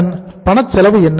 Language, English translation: Tamil, What is the cash cost